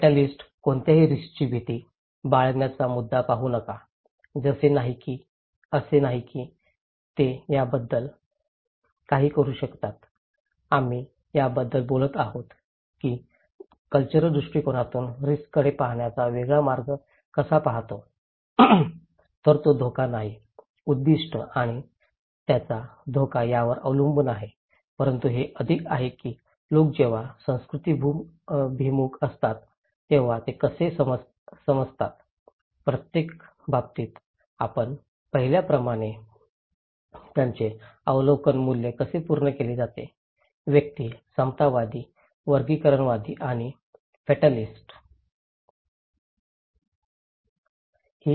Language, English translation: Marathi, Fatalists; don’t see the point of fearing any risk, it’s not like they can do anything about them so, we are talking about this that how one see different way of looking at the risk from their cultural perspective so, it is not that risk is objective and his hazard dependent but it is more that how people are culturally when oriented, how their perception values are met as we see in each cases; individuals, egalitarian, hierarchists and fatalists